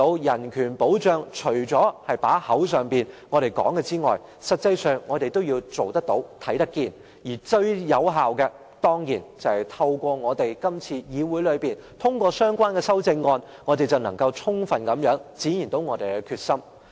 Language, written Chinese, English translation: Cantonese, 人權保障除了在嘴巴上說之外，實際上我們亦要做得到，看得見，而最有效的方法，當然是透過議會通過相關修正案，這樣，我們便能充分展現我們的決心。, Apart from carrying protection of human rights on our lips we need to put it in practice and keep it in sight . The most effective way is of course passing the relevant amendment through the Council . In this way we can fully exhibit our determination